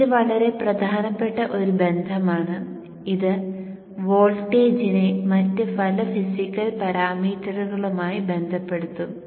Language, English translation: Malayalam, This is one relationship which relates the voltage to many of the physical parameters